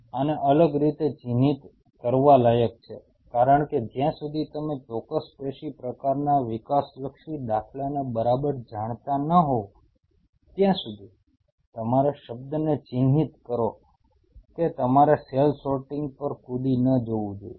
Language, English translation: Gujarati, This deserves a different highlight because of the reason that unless you exactly know the developmental to paradigm of a particular tissue type, mark my word you should not jump on to cell sorting